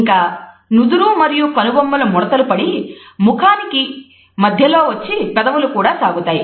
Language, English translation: Telugu, Then forehead and eyebrows are wrinkled and pull towards the center of the face and lips are also is stretched